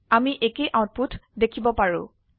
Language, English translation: Assamese, We see the same output